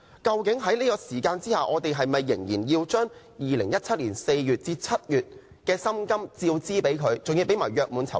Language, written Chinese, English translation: Cantonese, 究竟我們是否仍要支付他2017年4月至7月的薪金和約滿酬金？, Do we still have to pay him emoluments and gratuity for the months between April and July 2017?